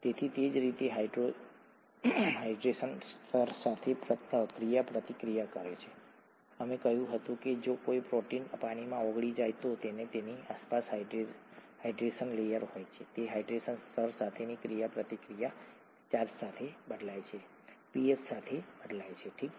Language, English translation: Gujarati, Therefore the way it interacts with the hydration layer; we said that if a protein is dissolved in water, there is a hydration layer around it; the interaction with that hydration layer changes with charge, changes with pH, okay